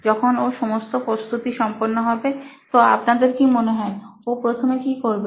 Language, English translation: Bengali, So once he is done with preparing everything what do you guys think he would be doing first after